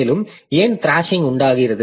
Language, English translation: Tamil, And why does thrashing occur